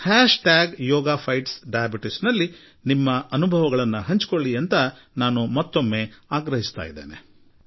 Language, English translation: Kannada, I urge you to use "Hashtag Yoga Fights Diabetes" I repeat "Hashtag Yoga Fights Diabetes"